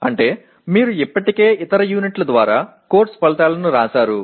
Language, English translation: Telugu, That means you have already written course outcomes earlier through other units